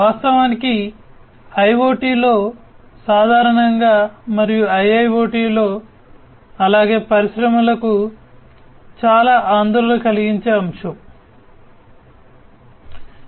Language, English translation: Telugu, In fact, a topic, which is of utmost concern in IoT, in general and IIoT, as well for the industries